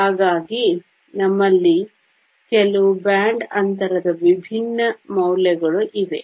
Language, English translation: Kannada, So, we have some different values of band gap